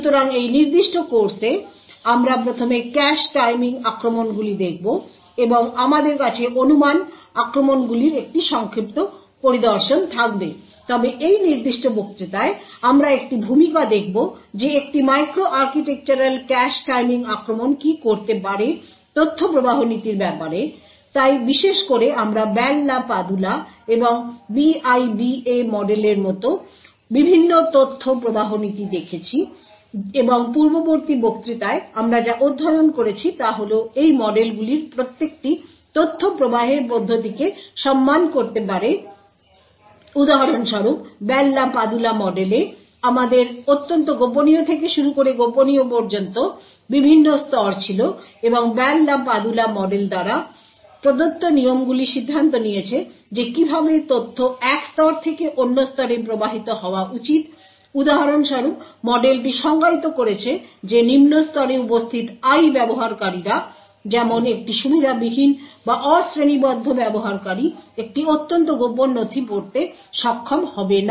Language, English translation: Bengali, So in this particular course we'll be first looking at the cache timing attacks and we'll have also have a brief overview of speculation attacks but in this specific lecture we would have an introduction to what a micro architectural cache timing attack can do with respect to the information flow policies so in particular we have seen the various information flow policies like the Bell la Padula and BIBA model and what we had actually studied in the previous lecture was that each of these models could respect how information can flow for example in the Bell la Padula model we had different levels ranging from top secret to confidential and so on and the rules provided by the Bell la Padula model decided how information should be flowing from a one level to another level for example the model defined that I users present in a lower level such as an unprivileged or unclassified user would not be able to read a top secret document